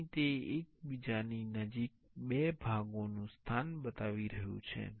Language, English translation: Gujarati, Here it is showing two parts place near each other